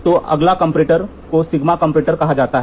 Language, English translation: Hindi, So, the next comparator is called as sigma comparator